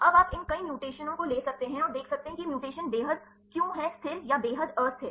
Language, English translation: Hindi, Now, you can take these several mutations and see why these mutations are extremely stable or extremely unstable